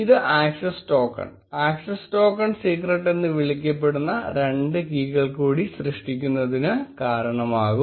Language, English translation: Malayalam, Which will result in generation of two more keys called access token and access token secret